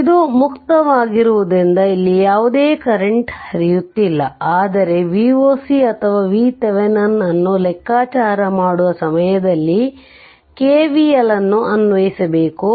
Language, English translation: Kannada, So, no current is flowing here; no current is flowing here, but at that time of computation of V oc or V Thevenin we have to we have to apply k V l